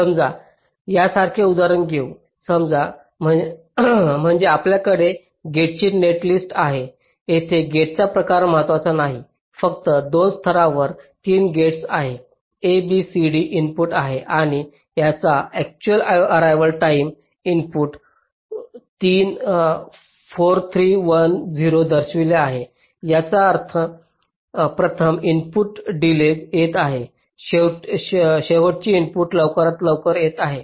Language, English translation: Marathi, take next, take an example like this: suppose means we have a gate netlist like this here, the type of this, not important, just there are three gates in two levels: a, b, c, d are the inputs and the actual arrival time of this, of this inputs are shown: four, three, one zero, which means the first input is arriving late, the last input is arriving earliest